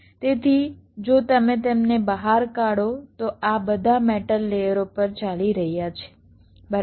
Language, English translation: Gujarati, so if you take them out, these are all running on metal layers